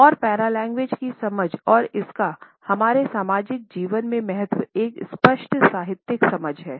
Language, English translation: Hindi, And understanding of the paralanguage and it is significance in our social life has also been a clear literary understanding